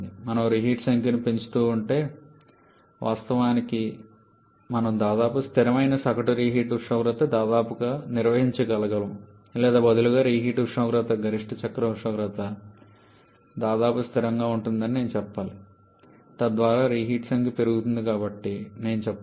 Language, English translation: Telugu, If we keep on increasing the number of reheating, of course we can almost maintain a near constant average reheat temperature or rather I should say the reheat temperature remains almost constant to the maximum cycle temperature, thereby I should say as the number of reheating increases it tries to approach the maximum possible efficiency